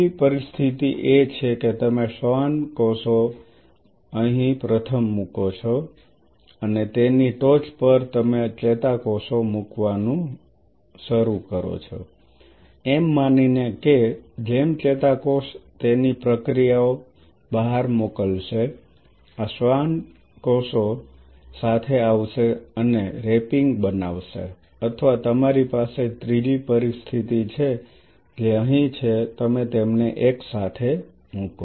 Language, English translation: Gujarati, The second situation is that you put the Schwann cells first out here and top of that you start putting the neurons assuming that as the neuron will be sending out its processes these Schwann cells will come along and form the wrapping or you have a third situation which is out here you put them together